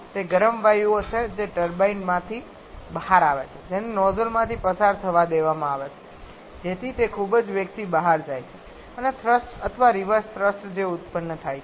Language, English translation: Gujarati, That is the hot gases that are coming out of the turbine that is allowed to pass through the nozzle, so that the it goes out at very high velocity and the thrust or the reverse thrust that is produces